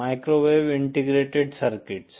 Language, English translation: Hindi, Microwave integrated circuits